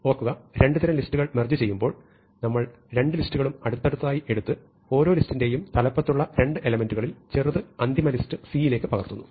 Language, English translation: Malayalam, So, remember that when we merge two sorted lists, what we do is, we take both lists side by side and we keep copying the smaller of the two elements at the head of each list into the final list C